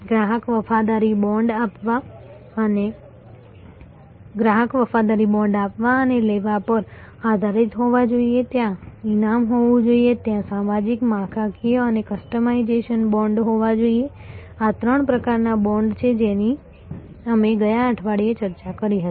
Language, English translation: Gujarati, Customer loyalty bonds must be based on give and take there must be reward, there must be social, structural and customization bonds these are the three types of bonds that we discussed last week